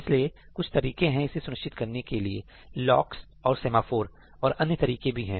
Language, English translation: Hindi, So, there are ways of ensuring that, right, using locks and semaphores and other mechanisms